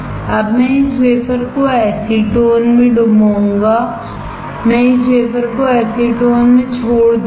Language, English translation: Hindi, Now, I will dip this wafer in acetone, I will leave this wafer in acetone